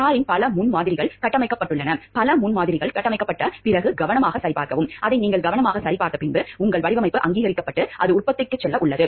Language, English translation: Tamil, Several prototypes of the car are built, which you check carefully after that several prototypes are built which you check carefully your design is then approved and it is about to go to production